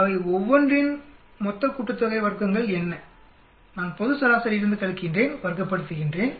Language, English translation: Tamil, What is total sum of squares for each one of them, I subtract from the global mean, square it up